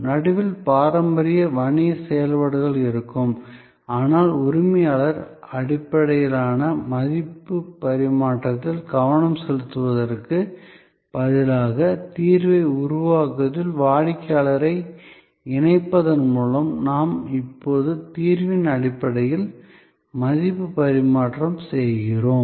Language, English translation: Tamil, There will be the traditional business functions in the middle, but by involving customer in co creating the solution, instead of focusing on transfer of ownership based value exchange, we now the value exchange based on solution